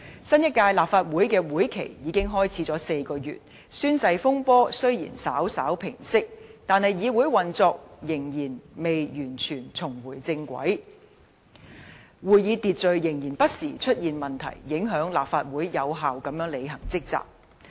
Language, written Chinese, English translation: Cantonese, 新一屆立法會的會期已開始了4個月，宣誓風波雖然稍稍平息，但議會運作仍然未完全重回正軌，會議秩序仍然不時出現問題，影響立法會有效地履行職責。, It is now four months into the new legislative session . While the oath - taking incident has slightly subsided the operation of the legislature has yet to return to a completely normal track with occasional problems in meeting order . This has adversely affected the effective discharge of duties by the Legislative Council